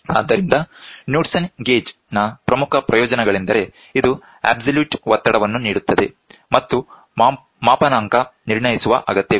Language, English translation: Kannada, So, the main advantages of Knudsen gauge are that it gives absolute pressure and does not need any calibration